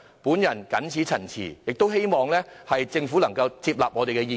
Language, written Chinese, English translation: Cantonese, 我謹此陳辭，希望政府可以接納我們的意見。, With these remarks I hope the Government will take on board our views